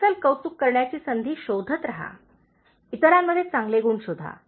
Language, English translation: Marathi, Keep finding chances to give genuine appreciation, look for good qualities in others